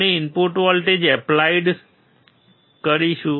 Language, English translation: Gujarati, We will be applying the input voltage